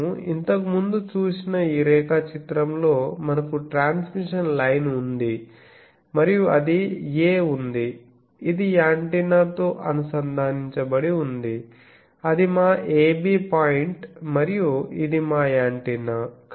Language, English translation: Telugu, This diagram we have seen earlier then we have a transmission line that is going and then there is a it is connected to antenna that was our ‘ab’ point and this is our antenna